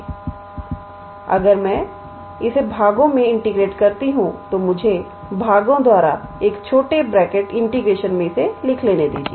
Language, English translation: Hindi, So, if I integrate this by parts let me write in a small bracket integration by parts